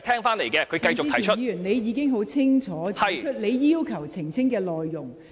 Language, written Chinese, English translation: Cantonese, 陳志全議員，你已清楚指出你要求澄清的內容。, Mr CHAN Chi - chuen you have already clearly stated the matter on which you want to seek elucidation